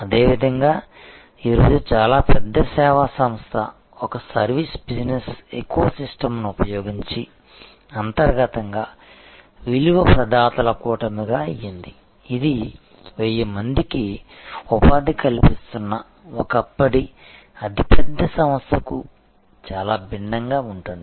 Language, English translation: Telugu, Similarly, today a very large service organization can be internally a constellation of value providers using a service business eco system, which is quite different from the yesteryears very large organization employing 1000 of people